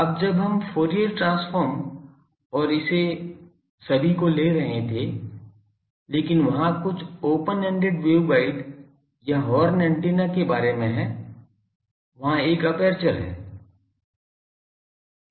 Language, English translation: Hindi, Now that we were taking Fourier transform and all these, but aperture there is some think of the open ended waveguide or horn antenna that there is an aperture